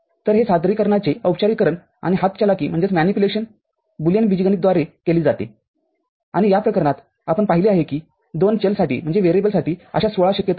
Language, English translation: Marathi, So, this formalization of representation and manipulation is done by Boolean algebra and in this case we saw for two variables we had 16 such possibilities